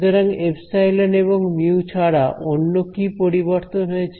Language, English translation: Bengali, So, apart from epsilon and mu what is the other change that happened